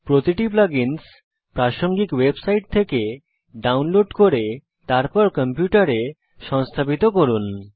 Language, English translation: Bengali, Each plug in has to be downloaded from the relevant website and then install on your computer